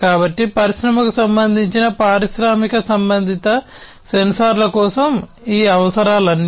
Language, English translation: Telugu, So, these are some of these requirements for industry related, you know, industrial related sensors being used